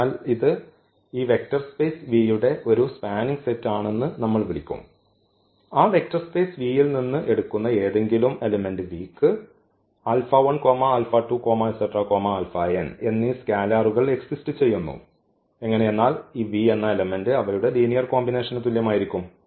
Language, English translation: Malayalam, So, we will call that this is a spanning set of this vector v if for any V, if for any v take any element from that vector space V then there exist the scalars this alpha 1, alpha 2, alpha n such that we have v is equal to this linear combination of these vs here